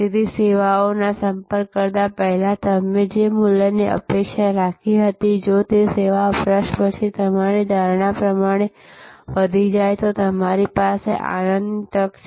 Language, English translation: Gujarati, So, value that you expected before you approach the service, if that is exceeded as per your perception after the service consumption, then you have a chance for delighting